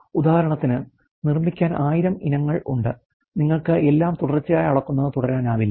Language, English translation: Malayalam, For example, there are let’s say 1000 item of having produce you cannot keep on continuously measuring everything